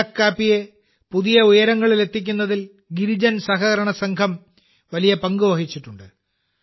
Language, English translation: Malayalam, Girijan cooperative has played a very important role in taking Araku coffee to new heights